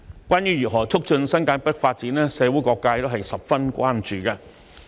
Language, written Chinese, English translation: Cantonese, 關於如何促進新界北發展，社會各界都十分關注。, Various sectors of society are very concerned about how to promote the development of New Territories North